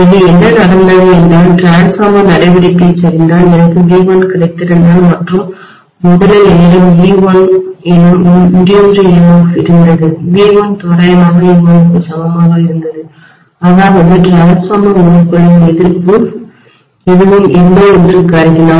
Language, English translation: Tamil, So what has happened is, if the transformer action collapses, if I have got V1 and originally I had got an induced emf of e1, V1 was approximately equal to e1 assuming that the resistance is hardly anything within the transformer winding